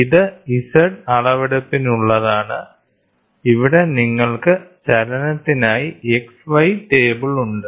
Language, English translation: Malayalam, So, this is for Z measurement and here you have a X and a Y table for movement